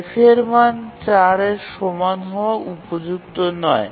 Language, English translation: Bengali, So, f equal to 4 is not suitable